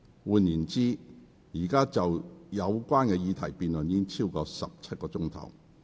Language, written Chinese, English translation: Cantonese, 換言之，議員就有關議題已辯論了超過17小時。, In other words Members have been debating the relevant question for over 17 hours